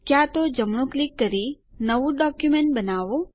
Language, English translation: Gujarati, Either right click and create a new text document